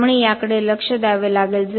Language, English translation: Marathi, So, we have to look at this